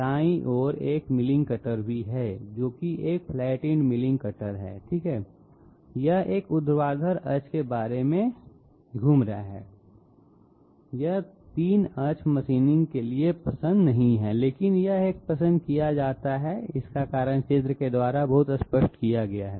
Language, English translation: Hindi, This is also a milling cutter, this is a flat ended milling cutter okay, it is rotating about a vertical axis, this is not preferred for 3 axis machining, but this one is preferred and the reason has been made obvious by the very figure